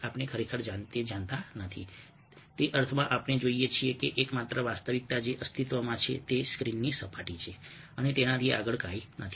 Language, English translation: Gujarati, in that sense, we see that the only which exists is the surface of the screen and nothing beyond that